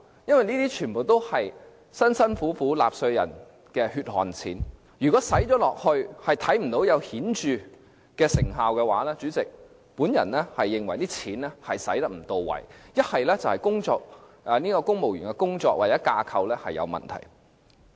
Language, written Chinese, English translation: Cantonese, 這些全都是納稅人辛苦賺來的血汗錢，如果花了錢卻仍然看不到顯著成效的話，我認為一是這些錢花得不到位，一是公務員的工作或架構有問題。, If the money made by taxpayers with their blood and sweat is used without producing any obvious results I would say that the money is not well spent because it shows that the work or structure of the civil service is problematic